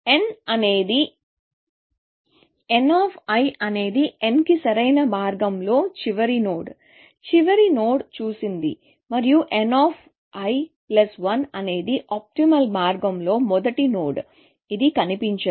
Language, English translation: Telugu, So, n of l, last node on optimal path to n, last node seen, and n of l plus one is the first node on optimal path, which is not seen